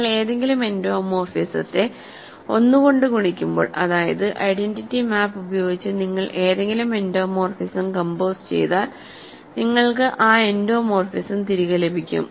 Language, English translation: Malayalam, So, when you multiply any endomorphism with 1; that means, your composing any endomorphism with the identity map, you get that endomorphism back